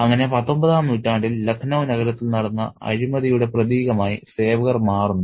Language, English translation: Malayalam, So, the servants become symbolic of the kind of corruption which is at play in the city of Lucknow in the 19th century